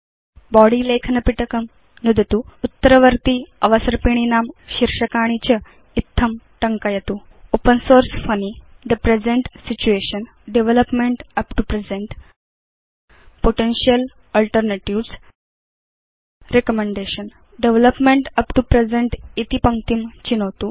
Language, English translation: Sanskrit, Click on the Body text box and type the titles of the succeeding slides as follows: Open Source Funny The Present Situation Development up to present Potential Alternatives Recommendation Select the line of text Development up to present